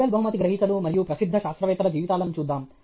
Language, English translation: Telugu, Let us look at the lives of Nobel prize winners and famous scientists